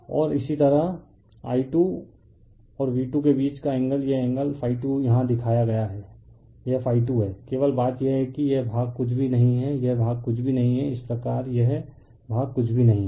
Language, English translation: Hindi, And similarly angle between I 2 and V 2 this angle is equal to phi 2 it is shown here it is phi 2, right only thing is that this this this portion is nothingthis portion is nothing but, similarly this portion is nothing, right